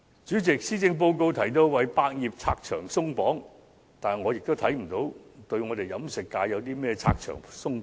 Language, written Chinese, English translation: Cantonese, 主席，施政報告提到為百業拆牆鬆綁，但我看不到對飲食界如何拆牆鬆綁。, President the Policy Address mentions removing obstacles for our industries but I did not see how it was done for the catering industry